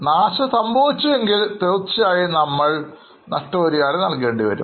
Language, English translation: Malayalam, If they are not damaged, we do not have to pay compensation